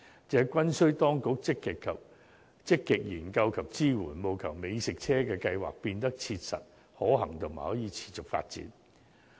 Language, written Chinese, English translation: Cantonese, 這均需當局積極研究及支援，務求美食車計劃變得切實可行及可持續發展。, All these require proactive study and support by the Government so as to make the food trucks scheme viable and sustainable